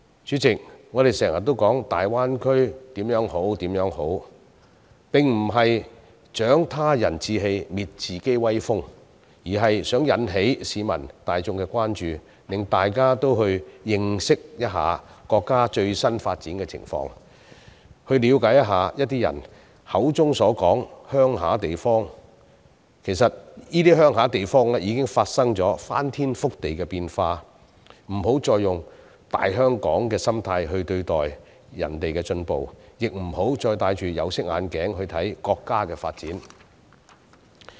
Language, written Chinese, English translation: Cantonese, 主席，我們常常把大灣區的好處掛在嘴邊，並不是要"長他人志氣，滅自己威風"，而是想引起市民大眾的關注，讓大家也去認識一下國家的最新發展情況，了解一下人們口中的鄉村地方，其實已經發生了翻天覆地的變化，不要再以"大香港"的心態看待人家的進步，也不要再戴着有色眼鏡來看國家的發展。, President we keep speaking good of the development in the Greater Bay Area not for the purpose of exaggerating the achievements of other people and belittling our own efforts but to arouse public concerns and encourage Hong Kong people to learn more about the latest development in the country . When earth - shaking changes have in fact taken place in some so - called rural areas we should stop judging the achievements made in these places with our Big Hong Kong mentality and looking at the development of the country through tinted glasses